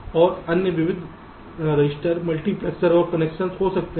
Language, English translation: Hindi, and there can be a other miscellaneous registers, multiplexors and connections